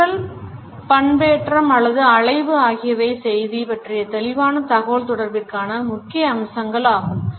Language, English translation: Tamil, Voice modulation or waviness is important for a clear communication of the message